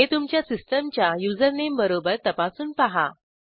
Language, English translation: Marathi, # It should check this name with your systems username